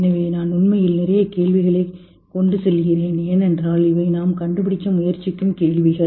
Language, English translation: Tamil, So I'm leaving you with a lot of questions actually because these are the questions which we are trying to figure out in different language